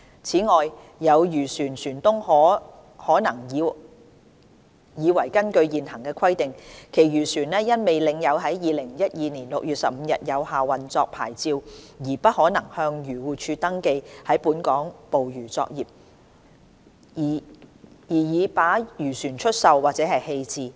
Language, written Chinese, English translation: Cantonese, 此外，有漁船船東可能以為根據現行規定，其漁船因未領有在2012年6月15日有效的運作牌照而不可能向漁護署登記在本港捕魚作業，而已把漁船出售或棄置。, Moreover some vessel owners whose fishing vessels did not possess a valid operating licence on 15 June 2012 might have already sold or disposed of their fishing vessels as they might have been under the impression that their vessels could no longer be registered with AFCD for conducting fishing operations in Hong Kong under the present requirement